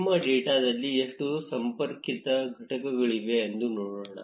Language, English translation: Kannada, Let us see how many connected components are there in our data